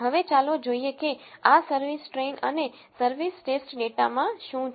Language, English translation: Gujarati, Now, let us see what is there in this service train and service test data